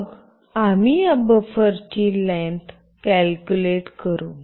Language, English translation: Marathi, Then we calculate the length of this buffer